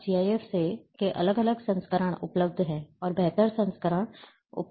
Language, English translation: Hindi, Now there are different versions of GIF are available, further improved versions are becoming available